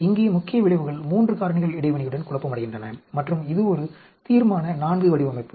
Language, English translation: Tamil, Here the main effects are confounded with the 3 factors interaction and this is a Resolution IV design